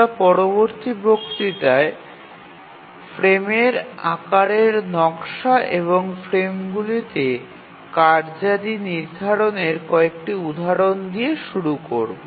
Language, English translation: Bengali, We'll start with few examples of designing the frame size and assignment of tasks to the frames in the next lecture